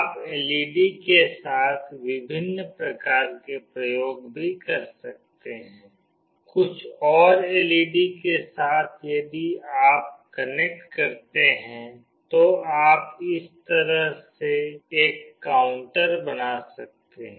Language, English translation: Hindi, You can also make different various kinds of experiments with LED, with few more LED’s if you connect, you can make a counter that way